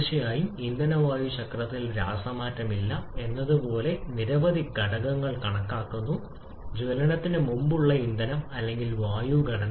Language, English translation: Malayalam, Of course, in fuel air cycle assuming several factors like no chemical change in fuel or air composition prior to combustion